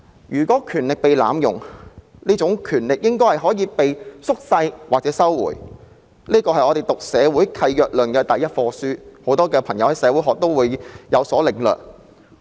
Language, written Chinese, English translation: Cantonese, 如果權力被濫用，這項權力應該可以被削弱或收回，這是我們修讀社會契約論的第一課所學的，很多修讀社會學的朋友都會有所領略。, Such power should be slashed or taken back if it is subject to abuse . This is what we have learnt from the first lesson on the theory of social contract . Many friends who have studied sociology would have some understanding of it